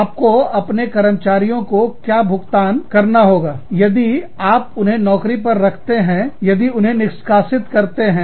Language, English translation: Hindi, What are you supposed to pay, to your employees, if they take, if you fire them